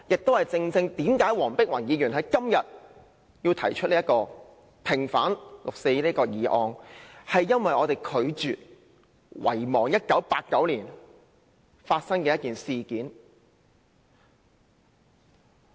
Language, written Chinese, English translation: Cantonese, 這亦正是黃碧雲議員今天提出"毋忘六四"這項議案的原因，是因為我們拒絕遺忘1989年發生的一件事件。, This is precisely the reason for Dr Helena WONG moving the Not forgetting the 4 June incident motion that is we refuse to forget the incident that happened in 1989